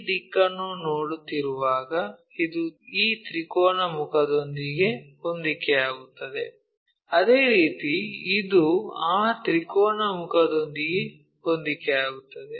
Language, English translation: Kannada, This one when we are looking this direction coincides with this triangular face, similarly this one coincides with that triangular face